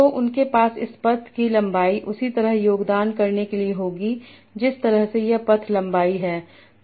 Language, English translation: Hindi, So, they will have this path length to contribute same way as this path line